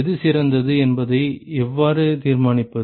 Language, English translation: Tamil, How can you decide which one is better